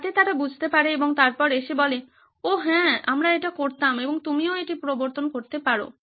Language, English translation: Bengali, So that they can understand and then come and say, oh yeah we would have done this and you can change that too